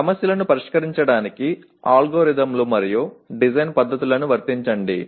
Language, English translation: Telugu, Apply the algorithms and design techniques to solve problems